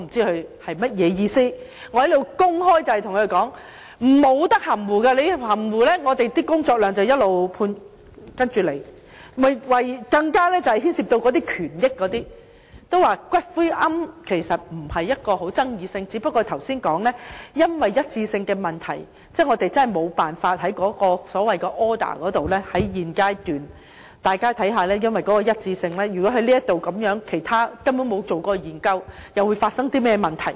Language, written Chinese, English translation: Cantonese, 其實，龕場並非具爭議性的問題，只不過正如剛才提到，由於一致性的問題，我們實在沒辦法在所謂的 order 上，在現階段......大家看看，由於一致性的問題，如果根本沒有做過研究，又會發生甚麼問題？, In fact the arrangements in respect of columbaria are no controversial issue just that as it was mentioned earlier due to the question of consistency with regard to the so - called order it is indeed impossible for us to at this stage Look due to the question of consistency if no studies have ever been conducted what will be the problem?